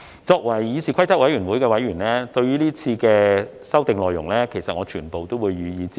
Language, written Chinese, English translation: Cantonese, 作為議事規則委員會的委員，對於今次的修訂內容，我會全部予以支持。, As a member of the Committee on Rules of Procedure I will support all the amendments proposed this time